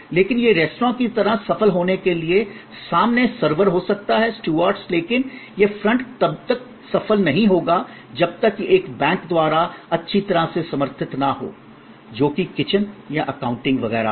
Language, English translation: Hindi, But, to be successful like in a restaurant, the front may be the servers, the stewards, but that front will not be successful unless it is well supported by the back, which is the kitchen or the accounting and so on